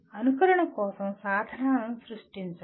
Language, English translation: Telugu, Create tools for simulation